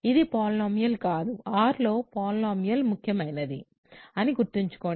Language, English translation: Telugu, So, this is not a polynomial over remember polynomial over R is important